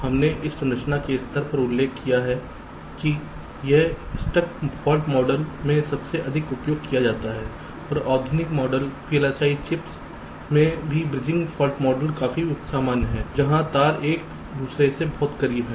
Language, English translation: Hindi, we mentioned at this structure level this static fault models at the most commonly used and also bridging fault model is quite common in modern chips where the wires are very close to together